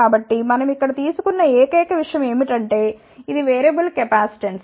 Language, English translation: Telugu, So, the only thing which we have taken here is that this is a variable capacitance